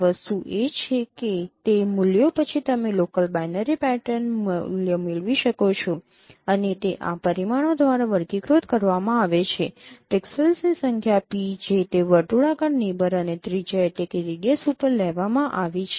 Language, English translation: Gujarati, Anyway the thing is that after those values you can get a local binary pattern value and those characterized by these parameters, number of pixels p that has been taken over that circular neighborhood and also the radius